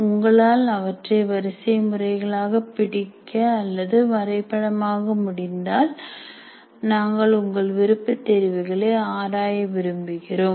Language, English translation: Tamil, If you can capture them as a sequence of steps or in the form of a diagram, we would like to kind of explore your option as well